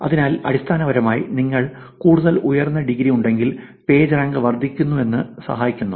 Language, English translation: Malayalam, So, essentially if you have more of high in degree helps in increasing the Pagerank